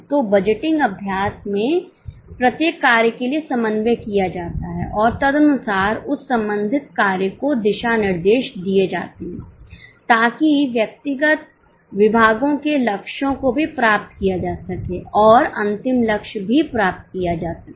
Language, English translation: Hindi, So, in the budgeting exercise, coordination is done for each function and accordingly the directions are given to that respective function so that individual departments goals are also achieved and the final goal is also achieved